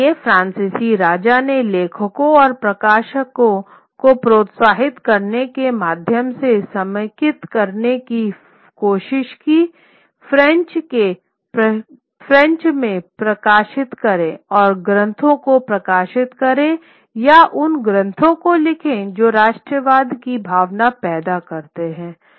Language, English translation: Hindi, So, the French king tries to consolidate that to production through through through encouraging writers and publishers to publish in French and publish texts or write texts which produced that feeling of nationalism